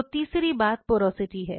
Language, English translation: Hindi, So, the third thing comes is the porosity